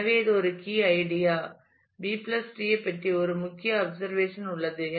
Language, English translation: Tamil, So, that is a key idea there is a key observation about the B + tree